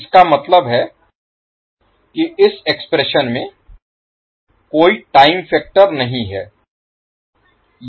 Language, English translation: Hindi, That means that there is no time factor coming in this particular expression